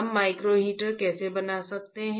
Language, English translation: Hindi, How we can fabricate micro heater